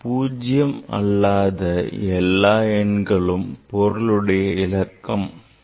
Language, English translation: Tamil, So, all non zero in a number, all non zero digits are significant figures